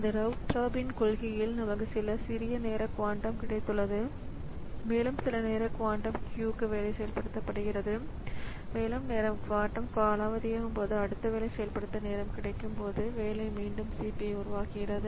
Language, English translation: Tamil, So, this round robin policy we have got some small time quantum and the job is executed for some time quantum queue and when the time quantum expires then the job is taken back from the CPU and the next job gets the time for execution